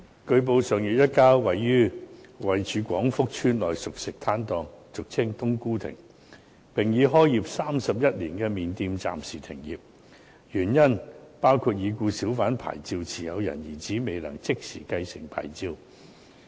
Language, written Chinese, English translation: Cantonese, 據報，上月一家在廣福邨內熟食攤檔已開業31年的麵店暫時停業，原因包括已故小販牌照持有人的兒子未能即時繼承牌照。, It has been reported that a noodle shop which had been in operation for 31 years in the cooked food stalls in Kwong Fuk Estate had to close down temporarily last month because inter alia the hawker licence concerned could not be immediately succeeded by the son of the deceased licensee